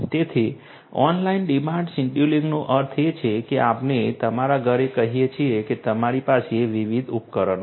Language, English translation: Gujarati, So, online demand scheduling means like let us say at your home you have different different appliances